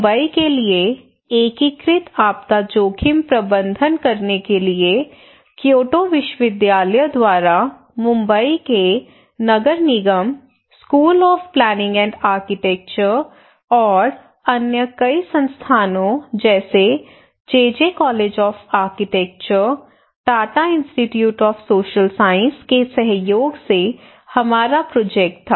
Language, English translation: Hindi, We had a project there, one integrated disaster risk management for megacity Mumbai by Kyoto University, along with in collaboration with the Municipal Corporation of here in Mumbai and school of planning and architecture and other many Institutes like JJ College of Architecture, Tata Institute of Social Science